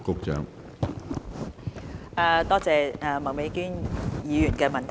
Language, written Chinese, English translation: Cantonese, 感謝麥美娟議員的補充質詢。, I thank Ms Alice MAK for the supplementary question